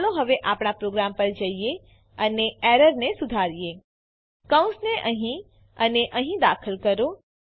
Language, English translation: Gujarati, Now let us go back to our program and fix the error Let us insert the brackets here and here